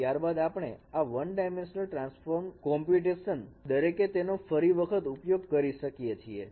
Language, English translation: Gujarati, And then we can reuse this one dimensional transform computation and we can express them in this form